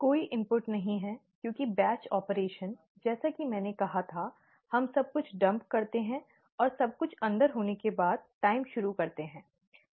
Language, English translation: Hindi, There is no input, because the batch operation, as I had said, we dump everything in, and start the time after everything is inside, okay